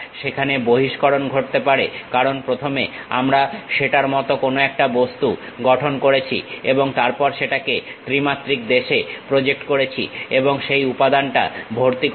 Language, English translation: Bengali, There might be extrusion happen because first we have constructed some object like that, and then projected that into 3 dimensions and fill that material